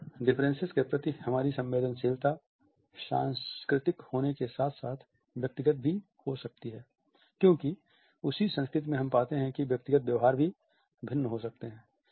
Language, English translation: Hindi, Our sensitivity to these differences which may be cultural as well as individual because in the same culture we find that individual behaviors may also be different